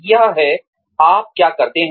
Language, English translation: Hindi, It is, what you do